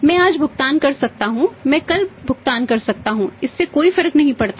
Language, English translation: Hindi, I can make the payment today I can make the payment tomorrow it does not matter it does not make a difference